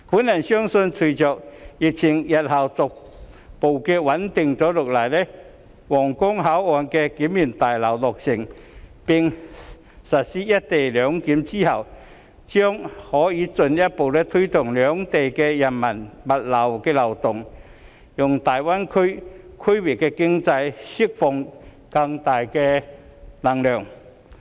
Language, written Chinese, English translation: Cantonese, 我相信，隨着疫情日後逐步穩定下來，皇崗口岸新聯檢大樓落成並實施"一地兩檢"後，將可以進一步推動兩地人民、物流的流動，讓大灣區區域經濟釋放更大能量。, I believe that as the epidemic gradually stabilizes in the future the implementation of co - location arrangement following the completion of the new Joint Inspection Building at Huanggang Port can further promote the flows of people and goods between both places and in turn enable the Greater Bay Area to unleash greater momentum for the regional economy